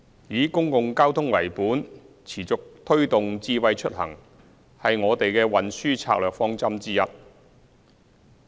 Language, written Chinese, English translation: Cantonese, 以公共交通為本，持續推動智慧出行是我們的運輸策略方針之一。, The continuous promotion of smart mobility underpinned by public transport is one of our transport strategies and initiatives